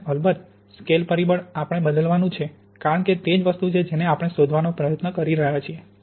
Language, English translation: Gujarati, And of course, the scale factor we have to vary because that is the thing we are trying to find